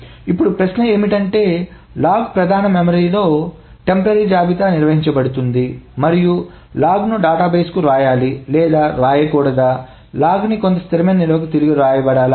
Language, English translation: Telugu, Now the question is, the log is maintained as a temporary list in the main memory and the log needs to be written to the database or not to the database, the log needs to be written back to some stable storage